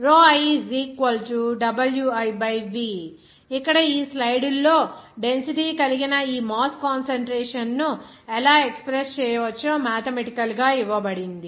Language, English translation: Telugu, Here in this slide, it is given that mathematically how that this mass concentration that is density can be expressed